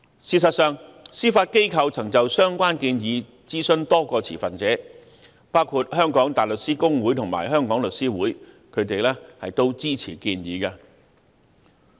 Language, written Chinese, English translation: Cantonese, 事實上，司法機構曾就相關建議諮詢多個持份者，包括香港大律師公會及香港律師會，並獲支持。, In fact the Judiciary has consulted many stakeholders on the relevant proposals including the Hong Kong Bar Association and The Law Society of Hong Kong and support has been given